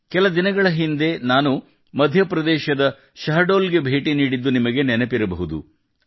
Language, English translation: Kannada, You might remember, sometime ago, I had gone to Shahdol, M